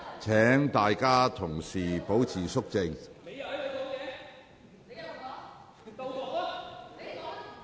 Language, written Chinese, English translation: Cantonese, 請議員保持肅靜。, Members please keep quiet